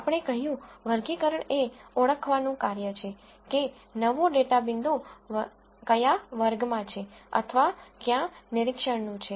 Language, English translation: Gujarati, We said classification is the task of identifying, what category a new data point, or an observation belongs to